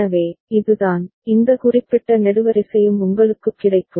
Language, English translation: Tamil, So, this is the, this particular column that also you get